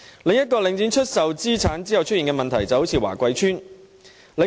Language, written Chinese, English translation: Cantonese, 另一個領展出售資產後出現的問題可以華貴邨作為例子。, Another problem that has arisen after the sale of assets by Link REIT can be seen in the example of Wah Kwai Estate